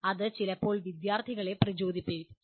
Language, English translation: Malayalam, That itself can sometimes can be motivating to students